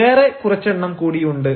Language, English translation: Malayalam, there are some others also